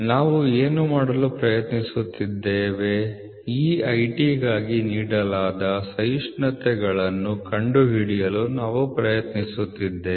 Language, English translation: Kannada, So, what are we trying to do is that we are trying to find out the tolerances given for this IT